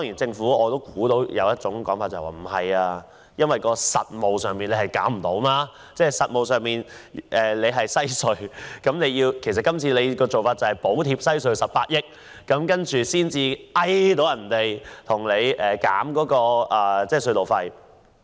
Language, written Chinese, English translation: Cantonese, 政府可能會說在實務上行不通。今次政府補貼西隧18億元，才可以要求西隧公司減低隧道費。, The Government may say this is infeasible for it has to offer a subsidy of 1.8 billion to WHC company in return for its agreement to reduce the toll